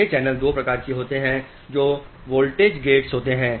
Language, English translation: Hindi, These channels are of two type, one which are voltage gated